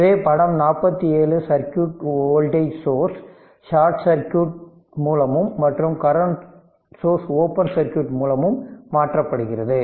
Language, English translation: Tamil, So, figure 47 the circuit with the voltage sources replaced by short circuit and the current sources by an open circuit right